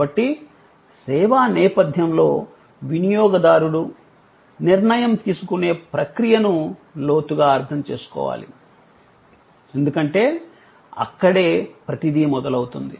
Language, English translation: Telugu, So, the process of decision making of a consumer in the service setting must be understood in depth, because that is where everything starts